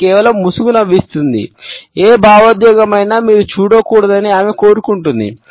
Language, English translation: Telugu, She smiles just a mask, whatever emotion she does not want you to see it